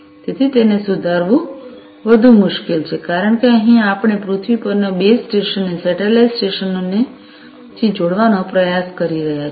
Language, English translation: Gujarati, So, you know correcting it is much more difficult, because here we are trying to connect the base stations on the earth to the satellite stations, right